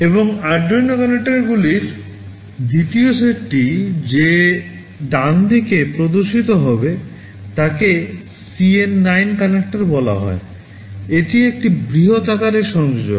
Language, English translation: Bengali, And, the second set of Arduino connectors that appears on the right side is called CN9 connector, this is a larger sized connector